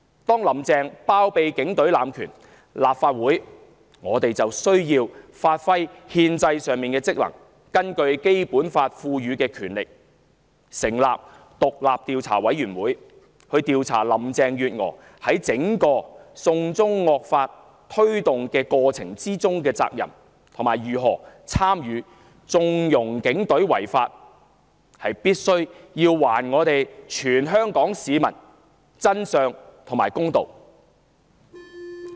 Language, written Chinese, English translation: Cantonese, 當"林鄭"包庇警隊濫權，立法會就要發揮憲制上的職能，行使《基本法》賦予的權力成立獨立調查委員會，調查林鄭月娥在推動"送中惡法"整個過程中的責任，以及如何參與縱容警隊違法，從而還全香港市民真相和公道。, With Carrie LAM shielding the Police Force from any consequence of power abuse the Legislative Council must fulfil its constitutional functions and exercise its powers conferred by the Basic Law by setting up an independent investigation committee to investigate the responsibility of Carrie LAM throughout the campaign of pushing through the draconian law of extradition to China and in what way has she taken part in condoning the unlawful acts of the Police Force so that all members of the Hong Kong public would learn the truth and see justice done